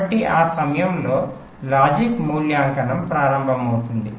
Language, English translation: Telugu, ok, so logic evaluation begin at that time